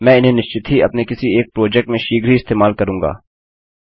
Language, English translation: Hindi, I will be using these most definitely in one of my projects quite soon